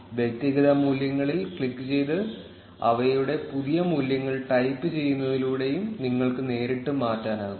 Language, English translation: Malayalam, You can also change individual values directly by clicking on them and typing their new values